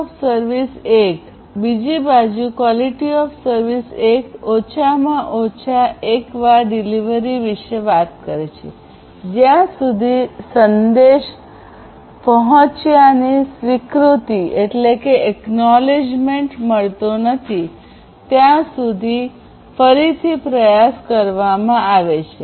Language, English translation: Gujarati, QoS 1: on the other hand, talks about at least once delivery, where retry is performed until the acknowledgement of the message is received